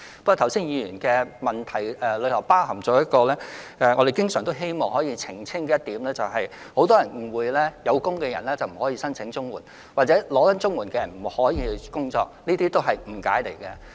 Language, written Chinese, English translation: Cantonese, 不過，議員剛才的補充質詢觸及我們經常希望澄清的事實，就是很多人誤會有工作的人不可以申請綜援，或正領取綜援的人不可以工作。, However the supplementary question raised by the Member just now touched on a subject which we have always wanted to clarify ie . many people may have misconceptions that those who are engaged in jobs are not eligible for CSSA or those who are on CSSA are not eligible to engage in jobs